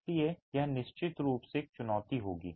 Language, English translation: Hindi, So, that's definitely going to be a challenge